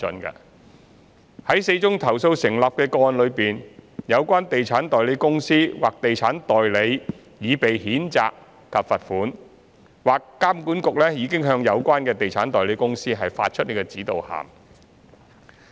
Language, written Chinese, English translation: Cantonese, 在4宗投訴成立的個案中，有關地產代理公司或地產代理已被譴責及罰款，或監管局已向有關地產代理公司發出指導函。, Among the four substantiated complaints the respective estate agency companies or estate agents have been reprimanded and fined or EAA has issued a reminder of good practice to the concerned estate agency company